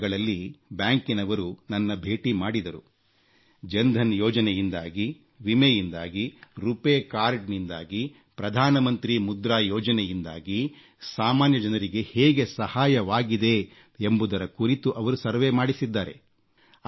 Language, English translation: Kannada, Banks have conducted surveys about how the common man has benefitted from Jan DhanYojna, from Insurance Schemes, from RuPay Card and Pradhan Mantri Mudra Yojna